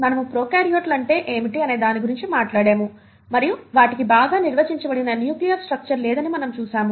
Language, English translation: Telugu, We have talked about what is, what are prokaryotes, and we have seen that they do not have a well defined nuclear structure